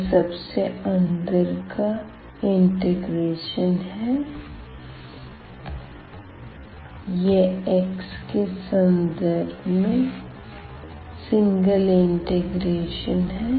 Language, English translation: Hindi, So, this is the inner most inner one into integral this is taken with respect to x